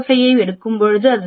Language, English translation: Tamil, 05 we are considering 0